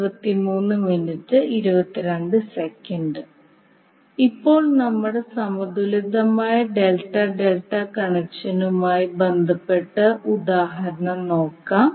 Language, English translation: Malayalam, Now let us take the example related to our balanced delta delta connection